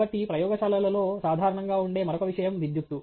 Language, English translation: Telugu, The other thing that is commonly present in a lab is electricity